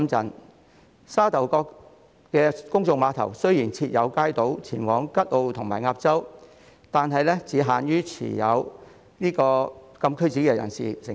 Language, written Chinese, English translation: Cantonese, 雖然沙頭角公眾碼頭設有街渡前往吉澳和鴨洲，但只限於持有禁區紙的人士乘搭。, Although kaito ferry services to Kat O and Ap Chau are provided at the Sha Tau Kok Public Pier they are available to holders of CAPs only